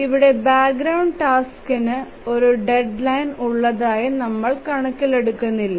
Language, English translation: Malayalam, So the background task we don't consider them having a deadline